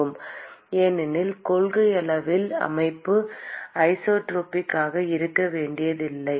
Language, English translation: Tamil, Because in principle, the system need not be isotropic, right